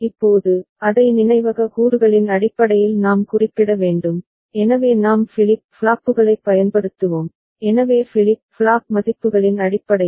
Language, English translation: Tamil, Now, we have to refer to it in terms of the memory elements, so we shall be using flip flops, so in terms of the flip flop values right